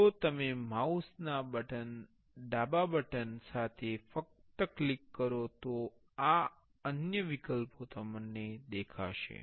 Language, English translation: Gujarati, If you just click with the left button of the mouse, these options will show